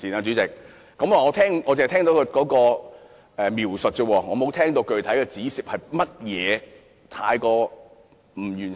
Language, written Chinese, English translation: Cantonese, 主席，我只聽到他描述，沒有聽到他具體指出哪些方面有欠完善。, President I have only heard Mr WONG making the claim but he has not pointed out specifically which areas are inadequate